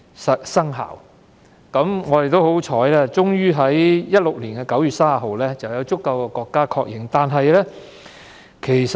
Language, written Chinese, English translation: Cantonese, 很幸運，《馬拉喀什條約》在2016年9月30日獲足夠的國家確認。, Fortunately the Marrakesh Treaty was ratified by a sufficient number of countries on 30 September 2016